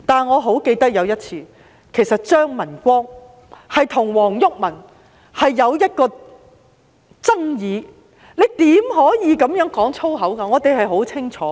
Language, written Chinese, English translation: Cantonese, 我記得有一次張文光與黃毓民有爭議，並指出他不應在此說粗言穢語，我們十分清楚。, I recall CHEUNG Man - kwong once confronted WONG Yuk - man telling him that foul language should not be used in this Council and we all know that